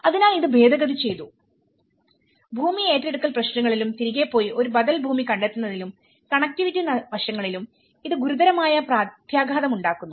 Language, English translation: Malayalam, So it has been amended and this has implication has a serious implication on the land acquisition issues and going back and finding an alternative piece of land and the connectivity aspects